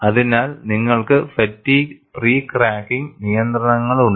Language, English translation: Malayalam, So, you have fatigue pre cracking restrictions